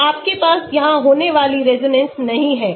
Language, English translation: Hindi, So, you do not have the resonance happening here